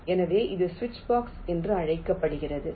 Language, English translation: Tamil, so this is called a switchbox